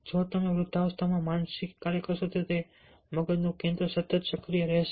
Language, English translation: Gujarati, if you do the mental work in old age, the brain center will be continuously activated